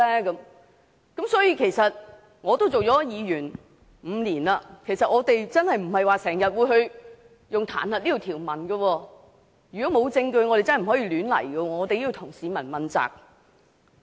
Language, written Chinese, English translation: Cantonese, 我出任議員已有5年，我們真的不會經常引用彈劾這條文，如果沒有證據，我們真的不會亂來，我們也要向市民負責。, I have been a Member of the Legislative Council for five years . It is true that Members do not often invoke the provision on impeachment . If there was no evidence we really would not have taken this action because we would not act wilfully and we have to be accountable to the public